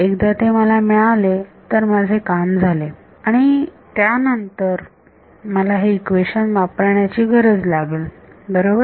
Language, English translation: Marathi, Once I get it once then I am done then I need to use this equation right